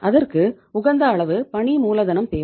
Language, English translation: Tamil, Why we need the working capital